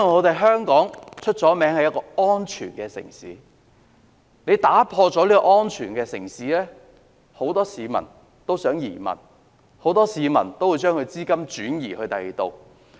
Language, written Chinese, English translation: Cantonese, 當香港的城市安全被破壞，很多市民便想移民，很多市民會把資金轉移到其他地方。, But once Hong Kongs safety is compromised many people will consider emigration and many will transfer their assets elsewhere